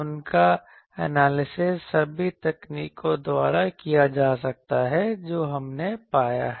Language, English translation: Hindi, They can be analyzed by the same techniques that we have found